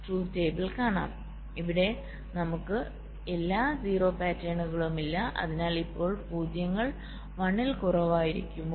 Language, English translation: Malayalam, now here we do not have the all zero pattern, so now zeros will be one less, right